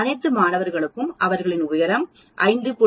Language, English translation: Tamil, Do all the students have their height very close to 5